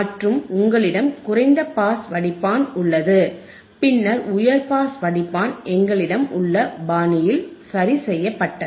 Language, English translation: Tamil, And you have low pass filter and by and then high pass filter corrected in the fashion that we have seen in the circuit;